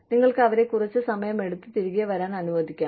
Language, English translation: Malayalam, You could let them take, some time off and come back